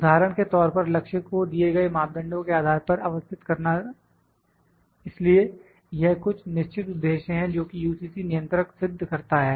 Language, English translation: Hindi, For example to position the target to the given parameters so, there certain purpose is that this UCC controller accomplish